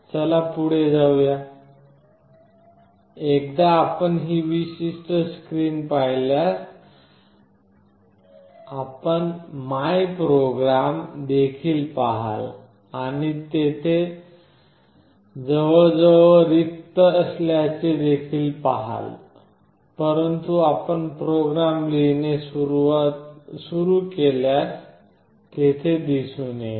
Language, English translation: Marathi, Let us move on; once you see this particular screen you will also see my programs and you see that it is almost empty, but if you keep on writing the programs it will show up